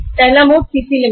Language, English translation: Hindi, First mode is CC limit